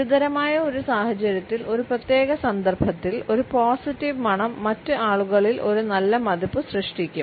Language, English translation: Malayalam, A positive smell in a particular context in a critical situation can create a positive impression on the other people